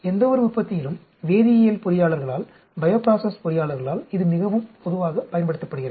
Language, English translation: Tamil, This is very commonly used by chemical engineers, by bioprocess engineers in any manufacturing